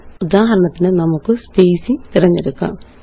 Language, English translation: Malayalam, For example, let us choose spacing